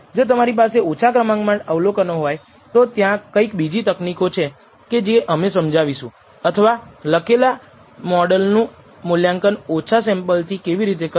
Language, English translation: Gujarati, If you fewer number of observations then you there are other techniques we will actually explain or how to evaluate written models with small samples that you have